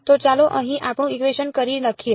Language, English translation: Gujarati, So, let us just re write our equation over here